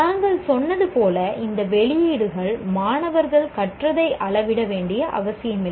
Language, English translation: Tamil, As we said, these outputs did not necessarily measure what the students learned